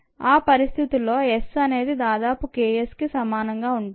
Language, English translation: Telugu, if that is a case, then s is the approximately equal to k s